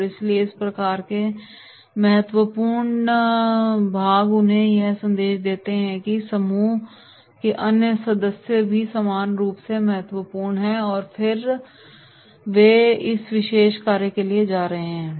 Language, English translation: Hindi, And therefore these types of the dominators they should be given the message that the other group members are also equally important and then they will be going for this particular activity